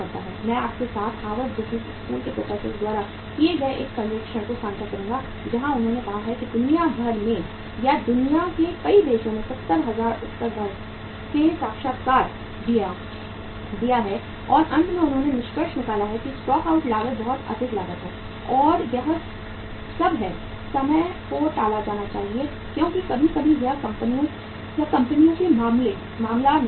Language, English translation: Hindi, I will I will share with you a survey done by the Harvard Business School professors where they have say interviewed 70,000 respondents across the globe or in the many countries in the world and finally they have concluded that stock out cost is very high cost and it should all the times be avoided because sometimes it is not the case of the firms or companies